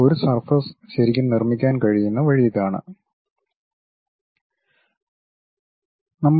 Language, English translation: Malayalam, This is the way one can really construct a surface